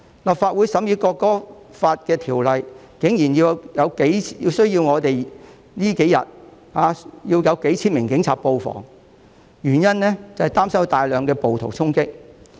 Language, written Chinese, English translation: Cantonese, 立法會這數天審議《條例草案》的條文，竟然需要數千名警員布防，原因是擔心有大量暴徒衝擊。, In these few days during which the Legislative Council is deliberating on the provisions of the Bill thousands of police officers are required to be deployed for fear that a large number of rioters would storm this Council